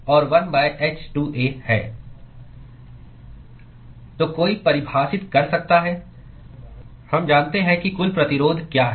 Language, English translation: Hindi, So, one could define we know what is the total resistance